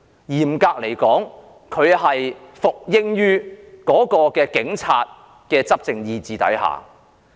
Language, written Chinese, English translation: Cantonese, 嚴格來說，她是服膺於警察的執政意志下。, Strictly speaking she is subservient to the ruling power of the Police